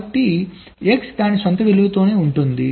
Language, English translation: Telugu, x remains at it own value